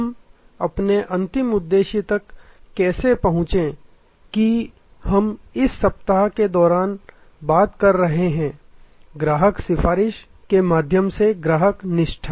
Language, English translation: Hindi, How do we reach our ultimate aim that we have been talking about during this week, the customer advocacy through the pathway of Customer Loyalty